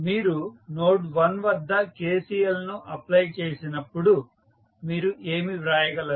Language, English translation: Telugu, So, when you apply KCL at node 1 what you can write